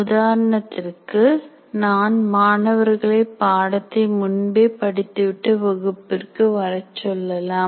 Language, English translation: Tamil, For example, I can ask the students to read in advance and come to the class